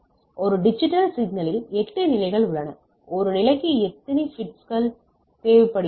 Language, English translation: Tamil, So, a digital signal has 8 level, how many bits are needed per level